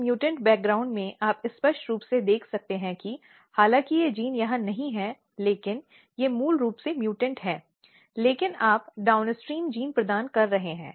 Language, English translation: Hindi, In this mutant background or in this experiment you can clearly see that though these genes are not here they are basically mutant, but you can you are providing downstream gene